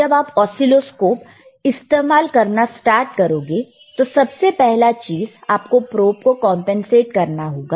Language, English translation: Hindi, When you start using the oscilloscope, first thing that you have to do is, you have to compensate the probe;